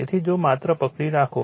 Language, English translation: Gujarati, So, if you just hold on